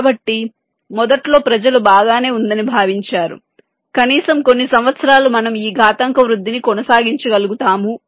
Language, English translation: Telugu, so initially people thought that well it was, find, at least for a few years, would be able to sustain this exponential growth